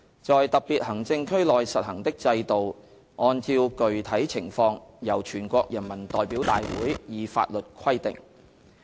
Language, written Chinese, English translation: Cantonese, 在特別行政區內實行的制度按照具體情況由全國人民代表大會以法律規定"。, The systems to be instituted in special administrative regions shall be prescribed by law enacted by the National Peoples Congress NPC in the light of specific conditions